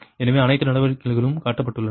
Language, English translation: Tamil, so all the steps have been shown